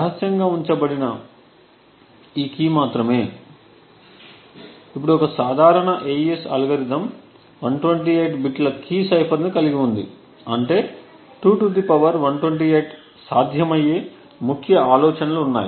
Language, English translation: Telugu, What is kept secret is this key, now a typical AES algorithm has a key cipher of 128 bits which means that there are 2 ^ 128 possible key ideas